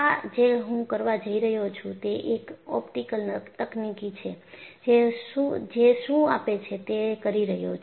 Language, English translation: Gujarati, This is what I am going to do and I am going to see what that optical technique gives